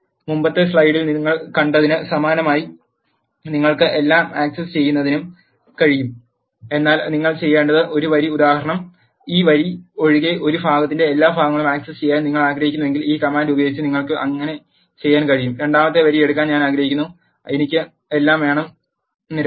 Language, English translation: Malayalam, Similar to the one which you have seen in the earlier slide you can also access everything, but one row all you need to do is for example, if you want to access all the parts of a except this row you can do so by using this command I want to take the second row off and I want to have all the columns